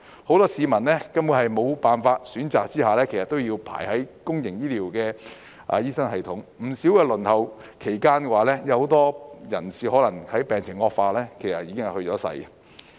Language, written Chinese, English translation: Cantonese, 很多市民根本沒辦法和在沒有選擇下，只能在公營醫療系統輪候，輪候期間更有不少人病情惡化去世。, Many people who simply have no choice or alternative need to wait under the public healthcare system . Quite a few of them have even died due to deterioration of their conditions during the wait